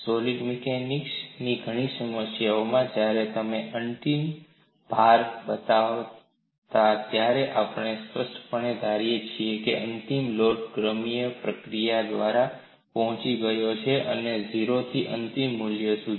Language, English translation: Gujarati, In many problems in solid machines, when you show a final load we implicitly assume that the final load was reached through a gradual process from 0 to the final value